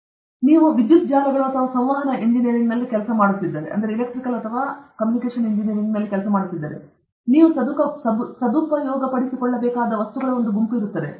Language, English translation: Kannada, Like that, if you are doing in electrical networks or communication engineering, there will be a set of things which you will have to master